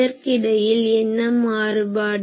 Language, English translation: Tamil, So, what is the difference between this